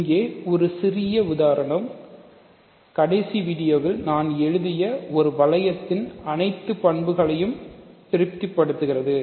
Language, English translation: Tamil, So, here this trivially satisfies all the properties of a ring that I wrote in the last video